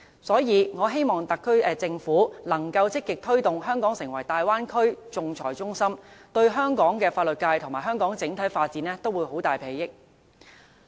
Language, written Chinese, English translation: Cantonese, 所以，我希望特區政府能夠積極推動香港成為大灣區仲裁中心，對香港的法律界和香港整體發展都會有莫大裨益。, I thus hope that the SAR Government can actively turn Hong Kong into an arbitration centre in the Bay Area and this will be very beneficial to the development of our legal sector and Hong Kong as a whole